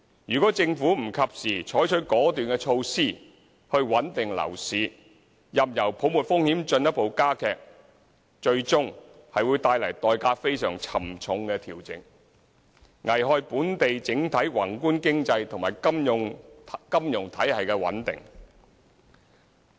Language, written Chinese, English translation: Cantonese, 若政府不及時採取果斷措施穩定樓市，任由泡沫風險進一步加劇，最終會帶來代價非常沉重的調整，危害本港整體宏觀經濟及金融體系穩定。, If the Government does not take decisive measures in time to stabilize the residential property market it will heighten the risks of a bubble and eventually precipitate a very costly adjustment and endanger the overall macroeconomic and financial stability of Hong Kong